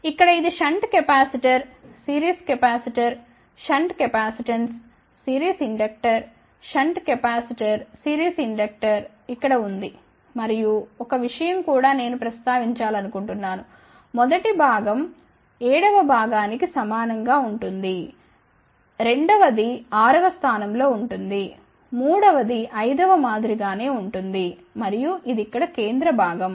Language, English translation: Telugu, This one here shunt capacitor, series inductor, shunt capacitance, series inductor, shunt capacitor then series inductor over here and one thing I have also want to mention that the first component will be identical to the seventh component, second is identical to sixth, third is identical to fifth and this is the central component over here